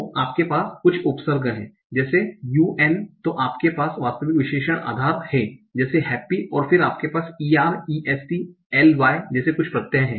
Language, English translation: Hindi, So you have some prefix like un, then you have the actual adjective root like happy, and then you have a sudden suffixes like ER, E